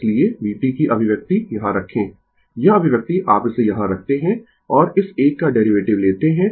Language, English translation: Hindi, So, put the expression of v t here, this expression you put it here right and take the derivative of this one